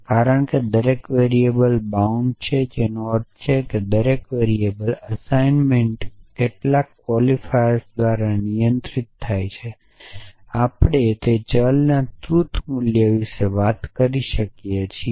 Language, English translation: Gujarati, Because every variable bound which means every variables assignment is controlled by some quantifier we can talk about the truth value of that variable essentially